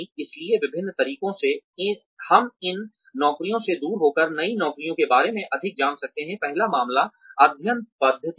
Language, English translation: Hindi, So, various ways in which, we can learn more about, new jobs by being away, from these jobs are, first is case study method